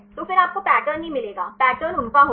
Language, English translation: Hindi, So, then you do not get the patterns the pattern will those